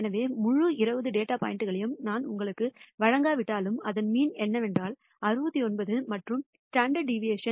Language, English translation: Tamil, So, even if I do not give you the entire 20 data points and I tell you the mean is, let us say 69 and the standard deviation is 8